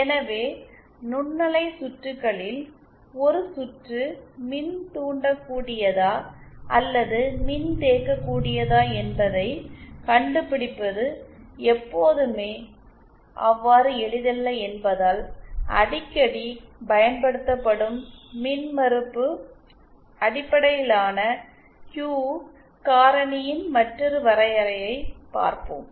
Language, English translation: Tamil, So, now one other definition which of the Q factor that is frequently used is in terms of the reactive because in microwave circuits, it is not always so simple to find out whether a circuit is inductive or capacitive